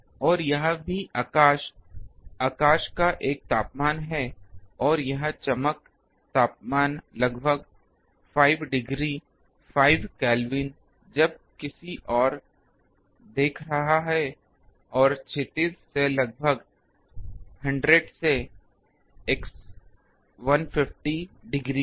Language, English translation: Hindi, And also the sky, sky is have a temperature and this brightness temperature of around 5 degree, 5 Kelvin when looking towards any and about 100 to 150 degree in the horizon